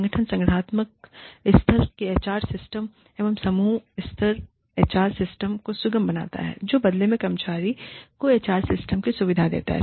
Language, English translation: Hindi, The organization, facilitates the organizational level HR systems, facilitate the team level HR systems, which in turn facilitate the employee perceived HR systems